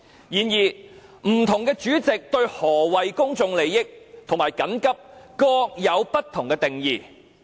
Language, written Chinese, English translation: Cantonese, 然而，不同主席對何謂"與公眾有重大關係"和"性質急切"各有不同定義。, Nevertheless different Presidents have different definitions on relating to a matter of public importance and of an urgent character